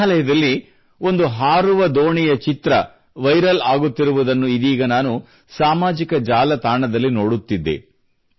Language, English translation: Kannada, I have been watching on social media the picture of a flying boat in Meghalaya that is becoming viral